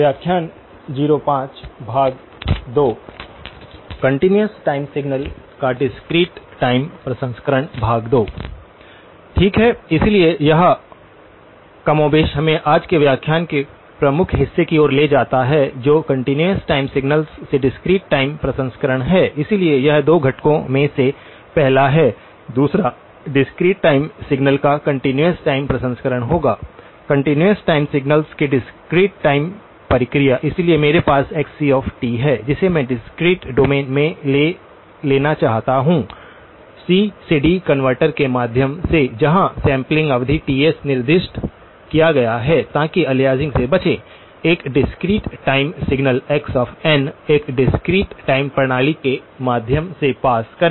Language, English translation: Hindi, Okay, so this more or less leads us to the key part of today’s lecturer which is the discrete time processing of continuous time signals, so this is the first of the 2 components, the other one will be the continuous time processing of discrete time signals, discrete time processing of continuous time signals, so I have xc of t, which I want to take into the discrete domain through a C to D converter sampling period specified Ts to avoid aliasing produce a discrete time signal x of n pass it through a discrete time system